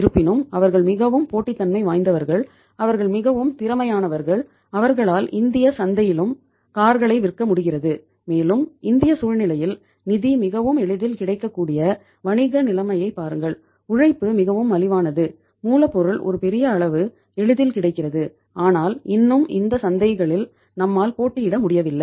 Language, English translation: Tamil, Despite that they are so competitive, they are so efficient that they are able to say sell the cars in the Indian market also and in the Indian scenario look at the business situation where finance is so easily available, labour is so cheap, raw material to a larger extent is easily available but still we are not able to compete in these markets